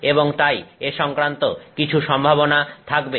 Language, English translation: Bengali, So, all these possibilities are there